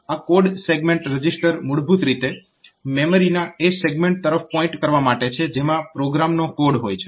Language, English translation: Gujarati, So, this code segment register is basically for pointing to the segment of the memory that contains the code of the program